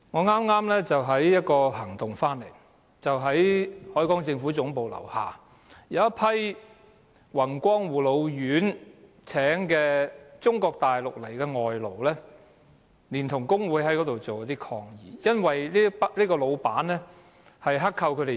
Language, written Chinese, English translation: Cantonese, 我剛剛在一個抗議行動回來，在海港政府大樓樓下有一批宏光護老院聘請的中國大陸外勞連同工會人士在那裏提出抗議，因為那個老闆剋扣工資。, I have just returned from below the Harbour Building where a protest is staged by a group of Mainland - imported workers working for Wing Kwong Care Home for the Elderly alongside some unionists to raise objection against the employers unreasonable deduction of salaries